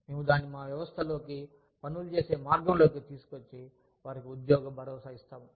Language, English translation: Telugu, We build it into our systems, into the way, we do our things, that their jobs are ensured